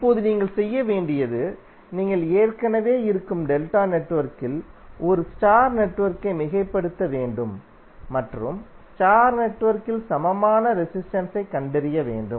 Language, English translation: Tamil, Now what you have to do; you have to superimpose a star network on the existing delta network and find the equivalent resistances in the star network